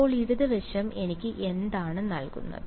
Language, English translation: Malayalam, So, what does the left hand side give me